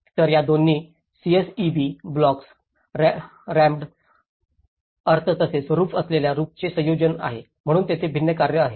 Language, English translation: Marathi, So, there is a combination of both these CSEB blocks, rammed earth as well as thatched roofs, so there is different works